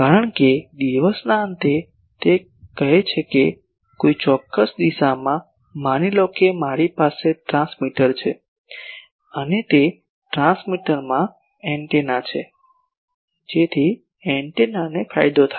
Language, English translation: Gujarati, Because at the end of the day it says that in a particular direction, suppose I have a transmitter and that transmitter has a antenna so that antenna has a gain